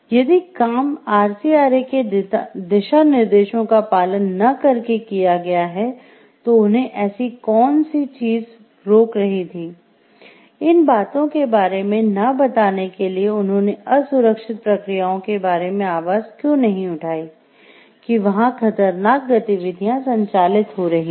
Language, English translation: Hindi, If things were done in a not following the guidelines of RCRA what stopped them from like telling about these things, why did not they like sound about like the unsafe processes and these things